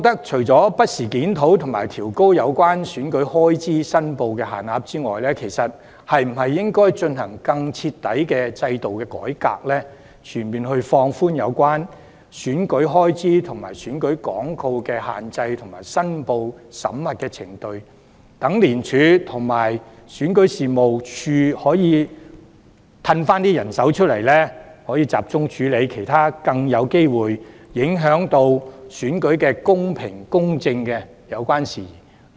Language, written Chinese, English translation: Cantonese, 除了不時檢討和調高有關選舉開支的申報門檻之外，當局應否從制度上推行更徹底的改革，全面放寬有關選舉開支和選舉廣告的限制及申報審核程序，使廉署和選舉事務處可以集中人手，處理其他更有機會影響選舉公平公正的事宜？, In addition to reviewing and raising from time to time the thresholds for reporting election expenses should the authorities not undertake a more thorough reform of the system to fully relax the restrictions on election expenses and election advertisements as well as the vetting procedures of the returns so that ICAC and REO can focus their manpower on dealing with other issues that stand a high chance of undermining the fairness and justice of an election?